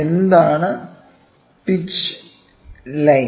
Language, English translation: Malayalam, What is a pitch line